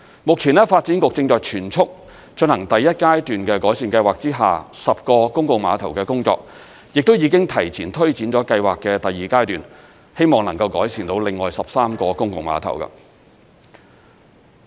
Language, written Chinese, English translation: Cantonese, 目前，發展局正在全速進行第一階段的改善計劃之下10個公共碼頭的工作，亦都已經提前推展了計劃的第二階段，希望能夠改善到另外13個公共碼頭。, At present the Development Bureau is currently working at full speed the improvement works of 10 public piers under the first phase of the Pier Improvement Programme and has kicked started ahead of schedule the second phase of the Programme in a bid to improve another 13 public piers